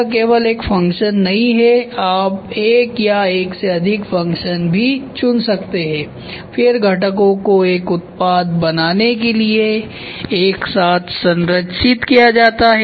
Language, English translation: Hindi, It is not only one function you can also choose one or more functions then components are structured together to form a product